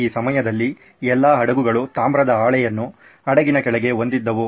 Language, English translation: Kannada, All ships during this time had a copper sheet, sheet underneath the ship